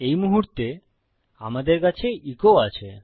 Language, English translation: Bengali, However, at the moment weve got echo